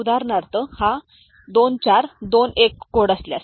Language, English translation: Marathi, For example, if it is a 2421 code